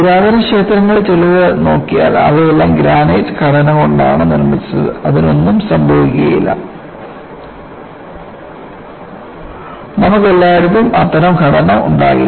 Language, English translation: Malayalam, See, if you look at some of the ancient temples, they wereall made of granite structures; nothing will happen to it; you cannot have that kind of structure everywhere